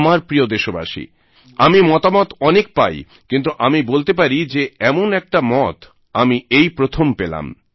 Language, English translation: Bengali, My dear countrymen, I receive a lot of suggestions, but it would be safe to say that this suggestion is unique